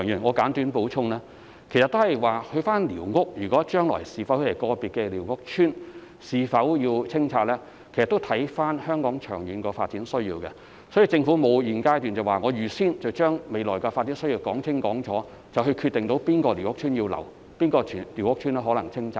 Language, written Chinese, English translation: Cantonese, 我簡短作補充，關於個別寮屋區將來是否要清拆的問題，其實須視乎香港長遠的發展需要，故此在現階段，政府不會預先說清楚未來的發展，以及決定要保留或清拆哪個寮屋區。, Let me further speak on it briefly . On the question of whether individual squatter areas will be demolished in the future it actually depends on the long - term development needs of Hong Kong . Therefore at this stage the Government would not make it clear the future development in advance and decide which squatter areas should be retained or demolished